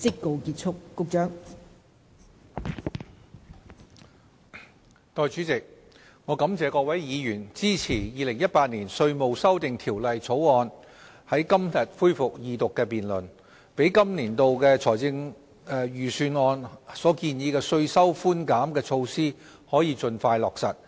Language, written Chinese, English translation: Cantonese, 代理主席，我感謝各位議員支持《2018年稅務條例草案》在今天恢復二讀辯論，讓本年度政府財政預算案所建議的稅收寬減措施可以盡快落實。, Deputy President I would like to thank various Members for supporting the resumption of the Second Reading of the Inland Revenue Amendment Bill 2018 the Bill today so as to expeditiously implement various tax concession measures proposed in the Budget this year